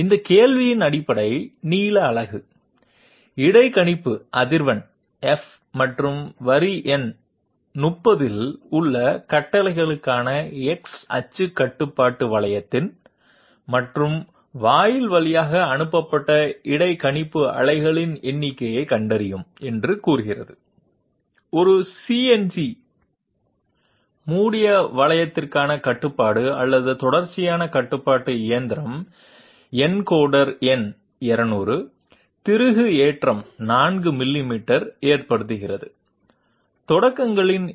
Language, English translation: Tamil, This problem states that find out the basic length unit, the interpolator frequency F and the number of interpolator pulses sent through the AND gate of the X axis control loop for the command in the line number 30 for a CNC closed loop Contouring control or continuous control machine with encoder number of holes 200, leads screw pitch 4 millimeters, number of starts = 1